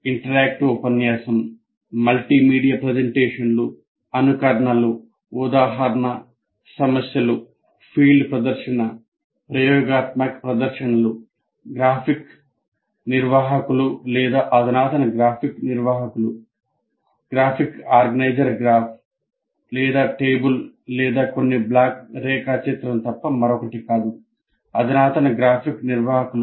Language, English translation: Telugu, Interactive lecture, multimedia presentations, simulations, example problems, field demonstration, experimental demonstrations, the graphic organizers or advanced graphic organizers